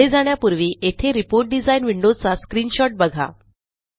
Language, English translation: Marathi, Before we move on, here is a screenshot of the Report design window